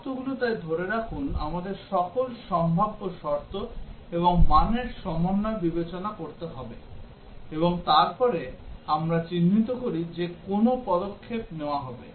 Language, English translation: Bengali, The conditions that hold so we have to consider all possible conditions and their combinations of values, and then we identify what actions would take place